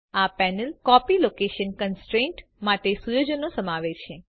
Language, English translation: Gujarati, This panel contains settings for the Copy location constraint